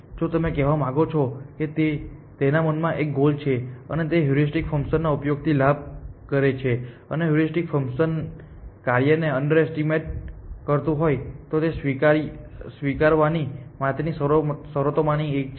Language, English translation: Gujarati, If you want to say it has a goal in mind and therefore, it benefits from the use of a heuristic function, and if the heuristic function is underestimating function then that is one of the conditions for admissibility